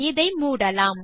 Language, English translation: Tamil, Let us close this